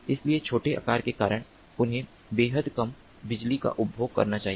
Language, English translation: Hindi, so because of the small size, they must consume extremely low power